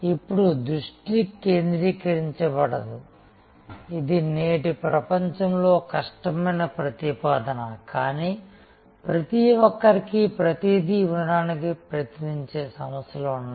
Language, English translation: Telugu, Now, there could be unfocused, this is a difficult proposition in today’s world, but there are organization to try to be everything to everybody